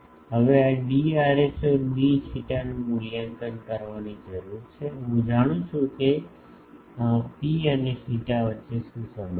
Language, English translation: Gujarati, Now, this d rho d theta needs to be evaluated, I know what is the relation between rho and theta